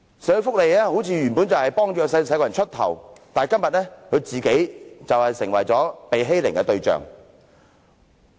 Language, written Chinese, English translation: Cantonese, 社會福利界原本是為弱勢社群出頭，但今天他們卻成為被欺凌的對象。, The social welfare sector is supposed to come forward to speak up for the disadvantaged but it has become the target of bullying